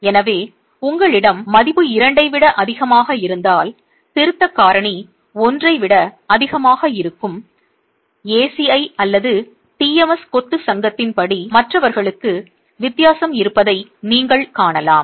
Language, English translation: Tamil, So if you have values greater than two correction factor is greater than 1 according to the ACI or the TMS, the Masonry Society, and for the others you can see that there is a difference